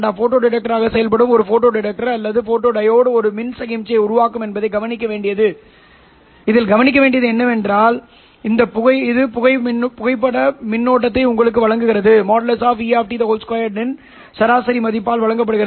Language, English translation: Tamil, What is important to notice that a photo detector or a photodiod which is acting as a photodetector will generate an electrical signal which gives you the photo current which is given by average value of E of T mod square